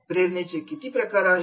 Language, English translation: Marathi, What type of motivation is there